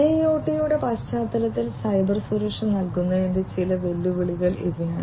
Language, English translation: Malayalam, So, in the context of IIoT these are some of the challenges with respect to provisioning Cybersecurity